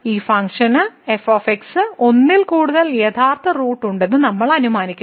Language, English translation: Malayalam, So, we assume that this function has more than one real root